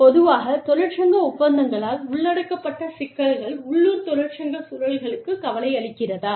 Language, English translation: Tamil, Issues, typically covered by union agreements, are of concern to the local union environments